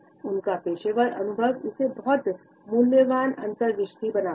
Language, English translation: Hindi, His professional experience makes it a very valuable insight